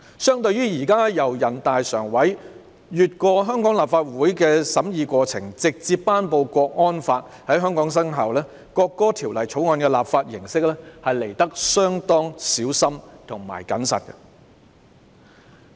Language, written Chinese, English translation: Cantonese, 相對於現時全國人民代表大會常務委員會繞過香港立法會的審議過程，直接頒布港區國安法在香港生效的做法，《條例草案》的立法形式相對小心和謹慎。, Compared with the present approach of the Standing Committee of the National Peoples Congress NPCSC of directly enacting a Hong Kong national security law to be implemented in Hong Kong bypassing the scrutiny process of the Hong Kong Legislative Council the manner of legislation of the Bill is relatively discreet and prudent